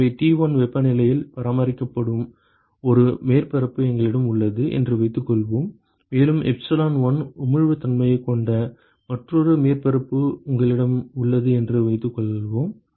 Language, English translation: Tamil, So, supposing we have one surface which is maintained at temperature T1 and let us say you have another surface whose emissivity is epsilon1